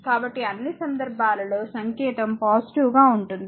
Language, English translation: Telugu, So, all these cases sign is positive